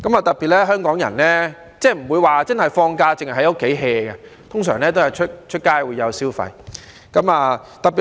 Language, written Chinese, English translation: Cantonese, 特別是香港人，放假不會只會待在家裏 "hea"， 通常都會上街消費。, Hong Kong people in particular do not like to merely relax at home but prefer going out to spend money